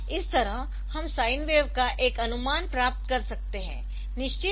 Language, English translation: Hindi, So, that way we can get an approximation of the sine wave